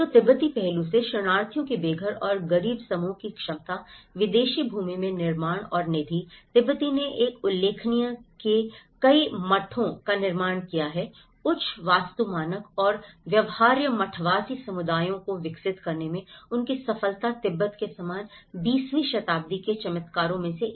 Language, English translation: Hindi, So, from the Tibetan aspect, the ability of homeless and impoverished groups of refugees to build and fund in foreign lands, Tibetan have built a numerous monasteries of a remarkable high architectural standard and their success in developing viable monastic communities similar to those of Tibet, one of the miracles of the 20th century